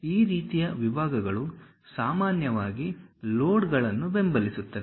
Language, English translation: Kannada, These kind of sections usually supports loads